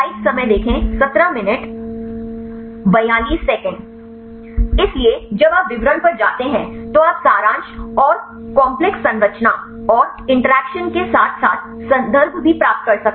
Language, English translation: Hindi, So, when you go to the details you can get the summary and the complex structure and the interactions as well as the reference